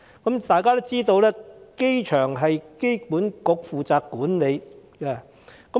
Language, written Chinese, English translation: Cantonese, 大家皆知道，機場由機管局管理。, As Members all know the airport is managed by AAHK